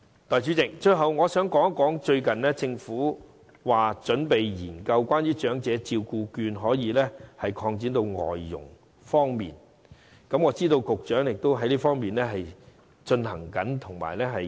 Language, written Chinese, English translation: Cantonese, 代理主席，最後，我想談談政府最近準備將長者社區照顧服務券擴展至僱用外傭，我知道局長正研究這方面的安排。, Deputy President lastly I would like to talk about the expansion of the coverage of the Community Care Service Voucher scheme to the employment of foreign domestic helpers . I know the Secretary is studying the arrangement in this aspect